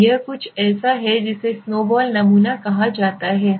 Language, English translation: Hindi, So this is something called snowball sampling